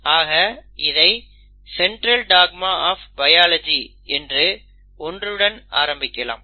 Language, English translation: Tamil, So we will start with what is called as the Central dogma of biology